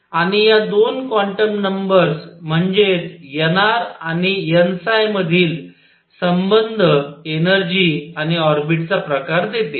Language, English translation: Marathi, And the relationship between 2 quantum numbers namely n r and n phi gives the energy and the type of orbit